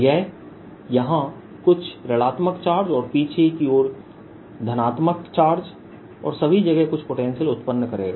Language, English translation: Hindi, this will induced some negative charges here and positive charge on the backside and some potential all over the place